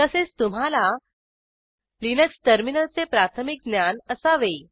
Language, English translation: Marathi, As prerequisites, You should know basics of Linux terminal